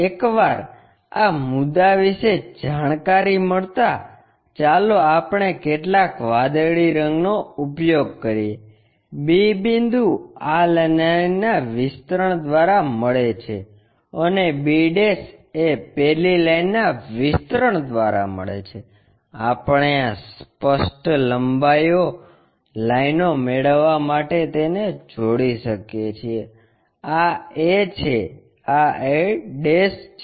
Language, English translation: Gujarati, Once these points are known let us use some blue color, b point is known by extension of this line b' is known by extension of that line, we can connect it to get this apparent length lines, this is a this is a'